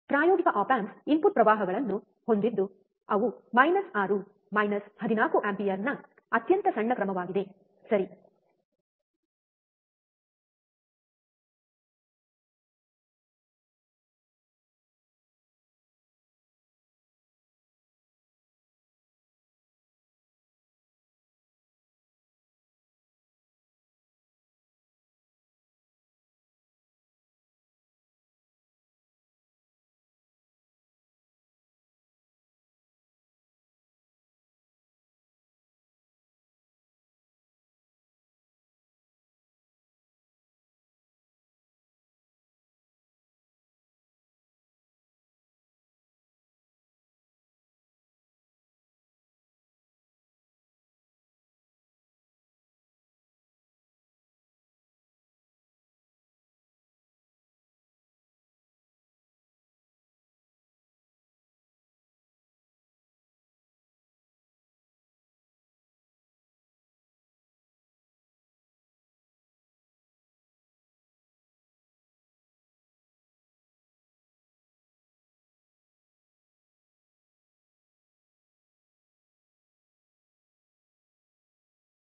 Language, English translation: Kannada, The practical op amps have input currents which are extremely small order of minus 6 minus 14 ampere, right